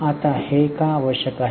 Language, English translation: Marathi, Now why it is necessary